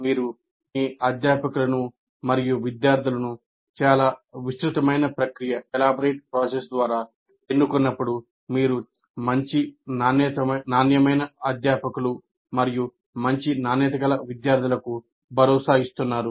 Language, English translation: Telugu, When you select your faculty and students through very elaborate process, then you are assuring good quality faculty and good quality students